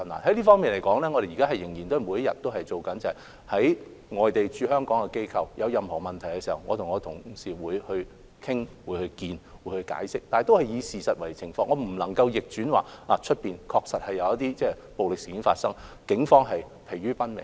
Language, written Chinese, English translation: Cantonese, 就此，我們仍然會每天下工夫，例如外地的駐港機構若有任何疑問，我和同事會與該等機構會晤、討論及作出解釋，但我們必須以事實為根據，外面確實有暴力事件發生，警方正疲於奔命。, In this regard we will still put in efforts every day . For instance if the representative offices of overseas entities in Hong Kong have any misgivings my colleagues and I will meet with them to have discussions and give explanations . Having said that we must act on the basis of facts as violent incidents have indeed occurred in the city and the Police are very busy dealing with them